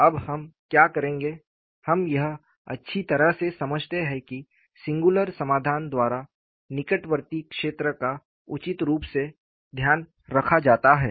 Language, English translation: Hindi, Now, what we will do is, we understand very well, that the near vicinity is reasonably taken care of by the singular solution